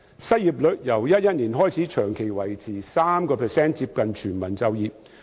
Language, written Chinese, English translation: Cantonese, 失業率亦由2011年起長期維持在 3%， 接近全民就業。, The unemployment rate has remained at 3 % for a long time since 2011 close to full employment